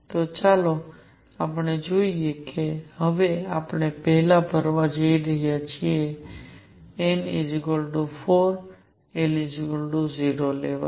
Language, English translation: Gujarati, So, let us see now we are going to now first fill n equals 4 l equals 0 level